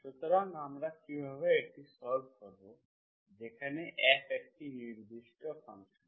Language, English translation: Bengali, So how do we solve this, where F is, F is a function, certain function